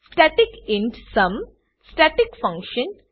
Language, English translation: Gujarati, static int sum Static function